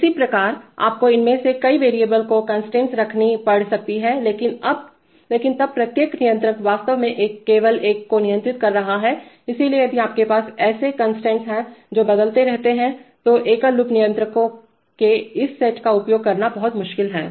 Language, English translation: Hindi, Similarly you may have to maintain constraints over several of these variables but then each controller is actually controlling only one, so then if you have such constraints which keep changing then is very difficult to use this set of single loop controllers